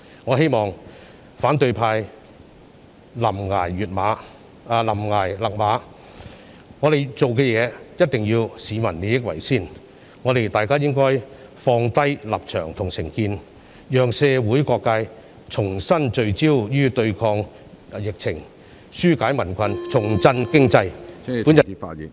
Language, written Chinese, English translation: Cantonese, 我希望反對派臨崖勒馬，我們做事必須以市民的利益為先，大家應該放下立場和成見，讓社會各界重新聚焦對抗疫情，紓解民困，重振經濟。, I hope the opposition camp will rein in at the brink of the precipice . We must put public interest above everything else . We should leave our stance and prejudice aside such that all sectors in society can refocus on fighting the epidemic relieving peoples burden and reviving the economy